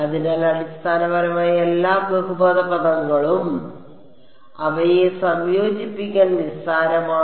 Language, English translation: Malayalam, So, basically all polynomial terms is trivial to integrate them